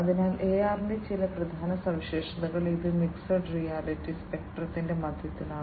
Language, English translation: Malayalam, So, some of the key features of AR, it lies in the middle of the mixed reality spectrum